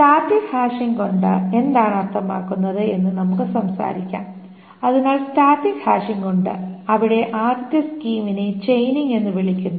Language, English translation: Malayalam, So there is static hashing and the first scheme there is called the chaining